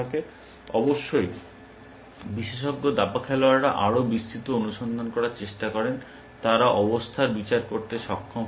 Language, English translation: Bengali, Of course, expert chess players tend to do more exhaustive search, they also tend to be able to judge positions